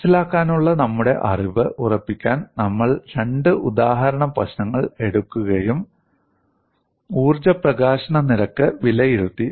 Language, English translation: Malayalam, To form up our knowledge of understanding, we have taken up two example problems and evaluated the energy release rate of this